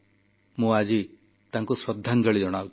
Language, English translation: Odia, Today, I pay homage to her too